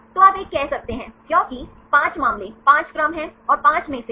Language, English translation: Hindi, So, you can say 1 because there are 5 cases 5 sequences, and among the 5